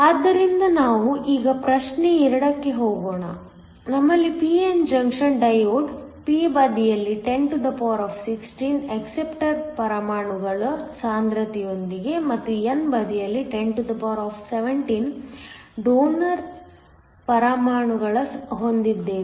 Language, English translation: Kannada, So, Let us now go to problem 2, we have a p n junction diode with a concentration of 1016 acceptor atoms on the p side and 1017 donor atoms on the n side